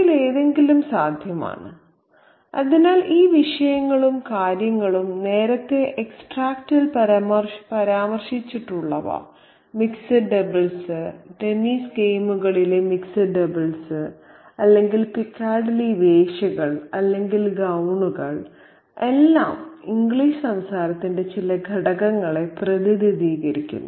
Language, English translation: Malayalam, And so all these objects and things that are referenced there earlier in the extract, the mixer doubles, the mixer doubles in tennis games or the peccadilly prostitues or the gowns all represent certain elements of English culture